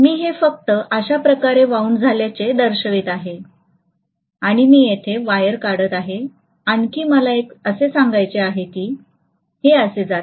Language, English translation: Marathi, So I am just showing it as though it is wound like this and I am going to take out the wire here and one more let me show it as though is going like this